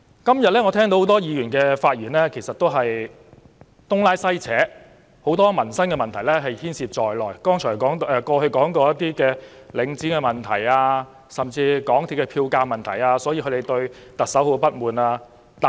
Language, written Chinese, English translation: Cantonese, 今天我聽到多位議員的發言其實也是東拉西扯，很多民生問題也牽涉在內，例如領展房地產投資信託基金的問題，甚至港鐵票價問題，都是他們不滿行政長官的原因。, I heard today many Members just ramble about all sorts of problems concerning peoples livelihood . Their grievances against the Chief Executive range from those relating to the Link Real Estate Investment Trust to the fares of the MTR Corporation Limited